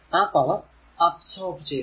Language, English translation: Malayalam, So, this power absorbed